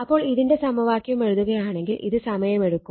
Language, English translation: Malayalam, So, if you write the equation look it takes time